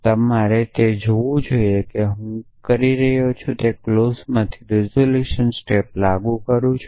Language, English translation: Gujarati, So, you must see that what I am doing is applying the resolution step from this clause